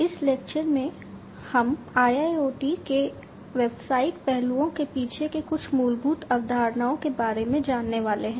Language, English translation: Hindi, So, in this lecture, what we are going to go through are some of the fundamental concepts, behind the business aspects of IIoT